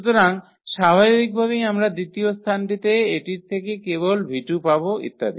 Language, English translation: Bengali, So, naturally we will get just v 2 from this one at the second position and so on